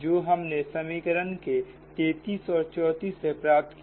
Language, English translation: Hindi, this is now equation thirty three